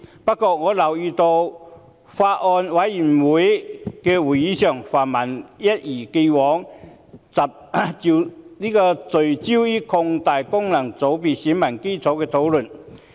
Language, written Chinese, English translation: Cantonese, 不過，我留意到在相關法案委員會會議上，泛民議員一如既往，聚焦討論擴大功能界別選民基礎的問題。, Nevertheless I noticed that at the meetings of the relevant Bills Committee Members of the pan - democratic camp as always focused on discussing the issue of expanding the electorate of FCs